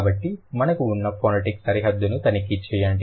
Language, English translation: Telugu, So, check the phonetic boundary that we have